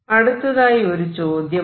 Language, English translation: Malayalam, Now, this is the question